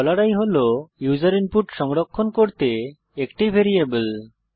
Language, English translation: Bengali, $i is a variable to store user input